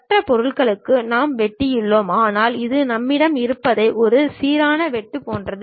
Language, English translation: Tamil, For other object also we have cut, but this is more like a uniform cut what we are having